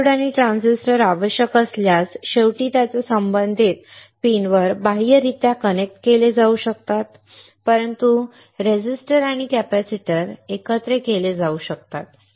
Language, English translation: Marathi, Diodes and transistors, if required can be externally connected on to its corresponding pins finally; But resistors and capacitors can be integrated